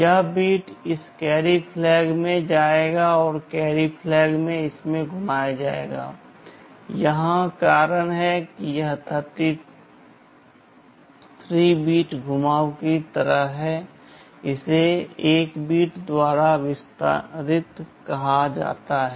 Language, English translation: Hindi, This bit will go into this carry flag and carry flag will get rotated in it, that is why this is something like a 33 bit rotation, this is called extended by 1 bit